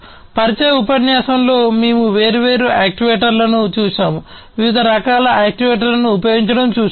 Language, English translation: Telugu, We have seen different actuators in the introductory lecture, we have seen different types of actuators being used